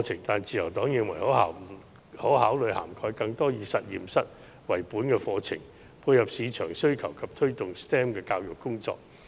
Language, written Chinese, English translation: Cantonese, 但是，自由黨認為可考慮涵蓋更多以實驗室為本的課程，以配合市場需求及推動 STEM 的教育工作。, However the Liberal Party is of the view that the authorities may consider including more laboratory - based programmes to meet market demand and promote STEM education